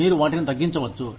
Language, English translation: Telugu, Or, you may need to downsize